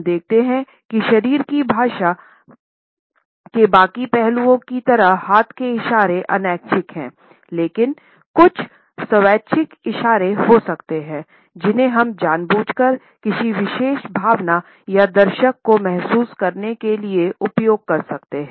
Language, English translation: Hindi, Most of the time we find that hand movements like the rest of the body language aspect are involuntary, but at the same time there may be certain voluntary gestures which we can deliberately use to communicate a particular emotion or a feeling to the onlooker